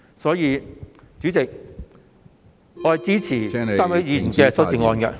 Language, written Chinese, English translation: Cantonese, 所以，主席，我支持3位議員提出的修訂議案......, Hence President I support the amendments proposed by the three Members